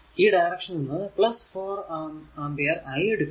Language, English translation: Malayalam, So, this is your 4 ampere